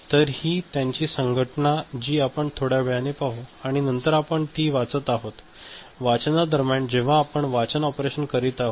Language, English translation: Marathi, So, this organization we shall see little later and then we are reading it; during the reading when we are doing the read operation